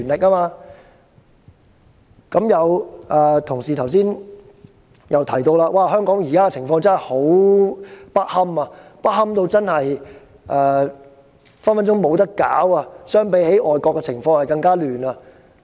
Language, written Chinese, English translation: Cantonese, 剛才有同事亦提到，香港現在的情況真的很不堪，隨時不能舉行選舉，比外國的情況更動亂。, Just now a fellow colleague also mentioned the current unsatisfactory situation of Hong Kong saying that the situation was worse than that of overseas countries and election might not be held